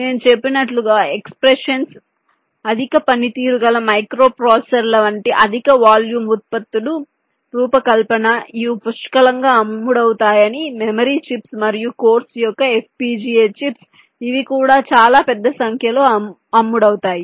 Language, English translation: Telugu, exceptions, as i mentioned, are the design of high volume products such as high performance microprocessors, which are expected to sold in plenty, memory chips and of course fpga chips, which are also sold in very large numbers